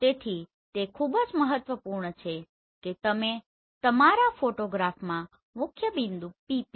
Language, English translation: Gujarati, So it is very important that you should able to identify principal point PP in your photograph